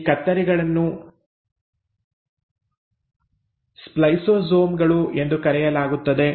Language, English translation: Kannada, Now this scissors are called as “spliceosomes”